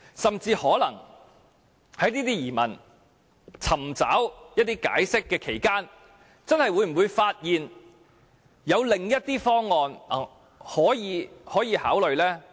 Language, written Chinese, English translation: Cantonese, 甚至在我們就這些疑問尋求解釋期間，政府會否發現有另一些方案可以考慮？, Is it also possible that the Government will find some other options worthy of consideration while we are seeking explanations for these queries?